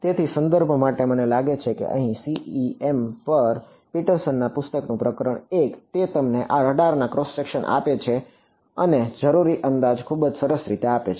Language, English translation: Gujarati, So, for reference I think chapter 1 of Petersons book on CEM, he gives you this radar cross section and the approximations required quite nicely